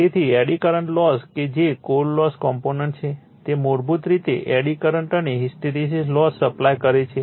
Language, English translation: Gujarati, So, eddy current loss that is core loss component basically is supplying eddy current and hysteresis losses